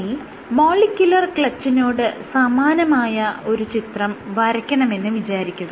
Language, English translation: Malayalam, So, if I want to draw a picture similar to that of a molecular clutch what you have is as possible